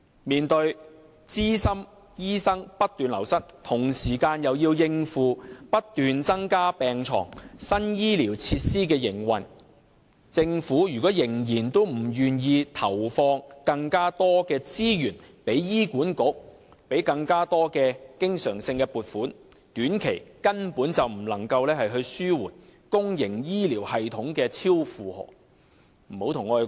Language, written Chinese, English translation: Cantonese, 面對資深醫生不斷流失，同時又要應付不斷增加病床和新醫療設施的營運，政府如果仍然不願意向醫管局投放更多資源，給予更多經常性撥款，短期內根本不能紓緩公營醫療系統的超負荷情況。, Given the continuous loss of experienced doctors and coupled with the need to cope with increased hospital beds and operate new health care facilities the Government simply cannot relieve the overloading condition in the public health care system within a short period of time if it is still unwilling to provide more resources and recurrent allocations to HA